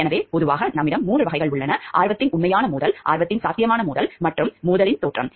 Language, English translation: Tamil, So, generally we have three types; actual conflict of interest, potential conflict of interest and appearance of a conflict of interest